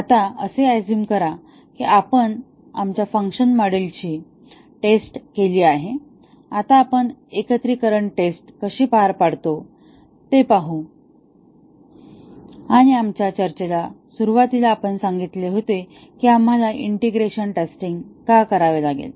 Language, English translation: Marathi, Now, assuming that we have tested our functions modules, now let see how do we carryout integration testing and at the start of our discussion, we had said that why we need to do integration testing, why do unit testing and then do integration testing and then, do the system testing